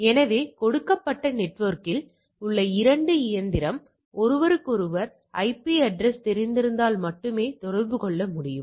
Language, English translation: Tamil, So, 2 machine on a given network can communicate only if they know each other physical address